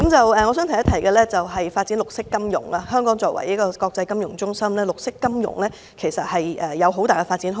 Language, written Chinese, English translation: Cantonese, 我還想提出的是發展綠色金融，香港作為國際金融中心，綠色金融有很大的發展空間。, I wish to raise one more point and that is developing green finance . Hong Kong is an international financial centre . There is great potential for us to develop green finance